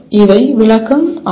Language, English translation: Tamil, These are interpretation